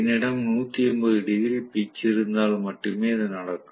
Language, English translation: Tamil, This will happen only if I have 180 degree pitch